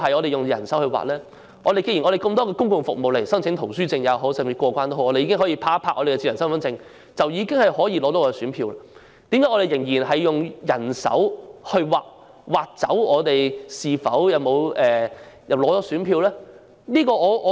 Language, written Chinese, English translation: Cantonese, 既然有很多公共服務，例如申請圖書證或過關已可以用智能身份證，取選票也可以這樣做，為甚麼仍然要用人手刪除姓名以取得選票？, Since smart identity cards can be used in many public services eg . application of library cards or immigration clearance we can also smart identity cards in getting ballot papers . Why should names be manually crossed out in issuing ballot papers?